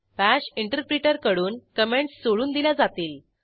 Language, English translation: Marathi, And comments are ignored by the Bash interpreter